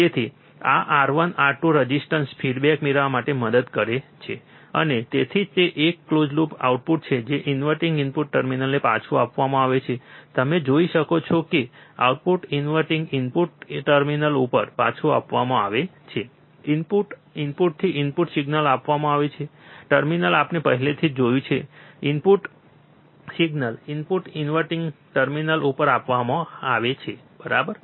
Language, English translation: Gujarati, So, this R 1 R 2 resistors help to get a feedback, and that is why it is a close loop output is fed back to the inverting input terminal you can see output is fed back to the inverting input terminal, input signal is applied from inverting input terminal we have already seen the input signal is applied to the inverting input terminal, right